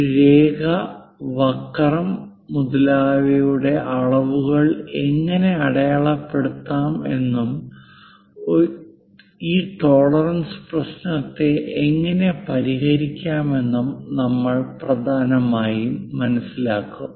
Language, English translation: Malayalam, And we will mainly understand how to dimension a line, curve and other things and how to address these tolerances issue